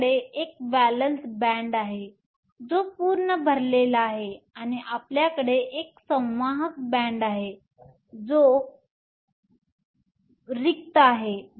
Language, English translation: Marathi, You have a valence band that is full, and you have a conduction band that is empty